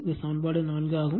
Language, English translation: Tamil, This is equation 4 right